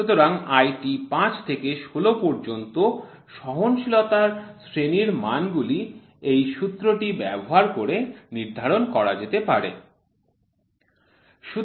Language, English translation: Bengali, So, the tolerance grade values to grades IT 5 to 16 can be determined by using this formula